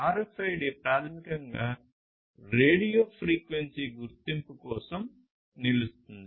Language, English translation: Telugu, So, RFID stands basically for radio frequency identification